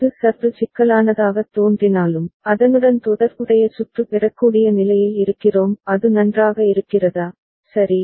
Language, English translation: Tamil, Even if it looks little bit complex, we are in a position to get the corresponding circuit is it fine, right